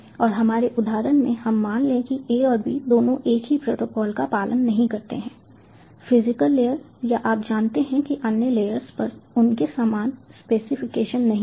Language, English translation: Hindi, and in our example, let us assume that a and b as such do not follow the same specific ah, same protocol did not have the same specifications at the physical layer or you know the other layers